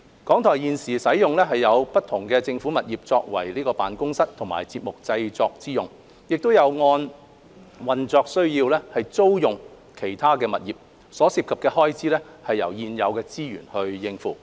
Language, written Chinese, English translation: Cantonese, 港台現時使用不同的政府物業作為辦公室及節目製作用途，亦有按運作需要租用其他物業，所涉的開支由現有資源應付。, RTHK currently uses different government properties as offices and for programme production purpose . RTHK also rents other properties subject to its operational needs and the expenditure involved is met by existing resources